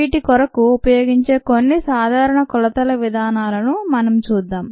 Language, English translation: Telugu, we would look at some of the common measurement methods that are used for these